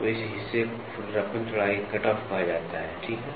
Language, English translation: Hindi, So, this portion is called as the roughness width cutoff, ok